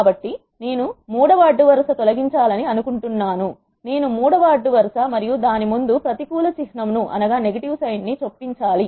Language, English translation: Telugu, So, I want to delete third row so I chose the third row and insert a negative symbol before it